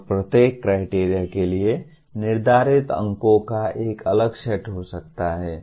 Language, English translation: Hindi, And each criterion may have a different set of marks assigned to that